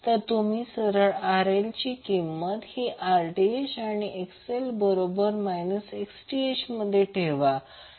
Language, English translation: Marathi, You just simply put the value of RL as Rth and XL is equal to minus Xth